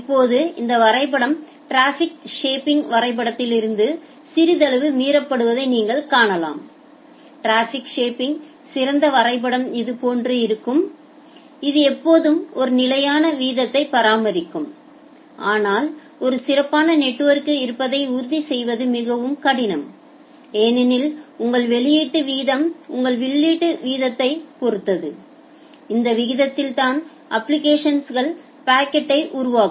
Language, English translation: Tamil, Now, this diagram you can see that it is little violating from the diagram of traffic shaping that we have shown earlier the ideal diagram of traffic shaping was something like this that it will always maintain a constant rate, but ensuring that in a typical network is difficult because your output rate also depends on your incoming rate, like the rate at which the application is generating packet